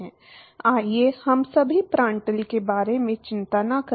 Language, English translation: Hindi, Let us not worry about Prandtl right now